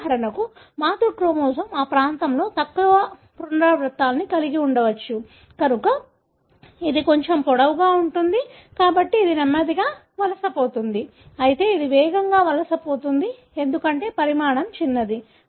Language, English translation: Telugu, So, for example the maternal chromosome may have had fewer more repeats in that region, therefore it is little longer, therefore migrates slowly, whereas this one migrates, know, faster, because the size is smaller